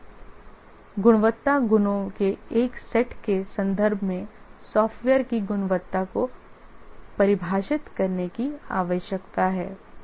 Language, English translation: Hindi, We need to define the quality of a software in terms of a set of quality attributes